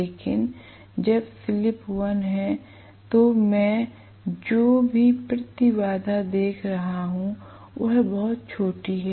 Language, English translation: Hindi, But when the slip is 1 this impedance, whatever impedance I am looking at is very small